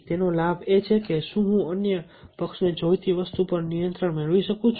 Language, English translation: Gujarati, leverage is: can i gain control over the something the other party needs